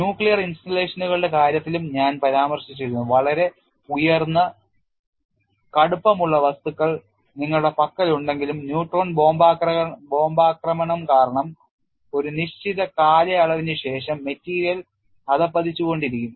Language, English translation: Malayalam, I had also mentioned in the case of nuclear installations, even though you have the containment made of very high tough materials because of neutron bombardment, over a period of time the material degrades